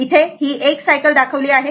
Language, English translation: Marathi, Here, you show it is 1 cycle